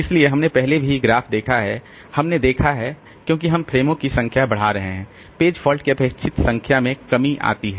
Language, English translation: Hindi, So, we have seen the graph previously also there we have seen as we are increasing the number of frames, the expected number of page faults also decrease